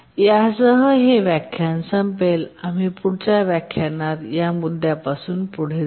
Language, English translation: Marathi, With this we'll just conclude this lecture and we'll continue from this point in the next lecture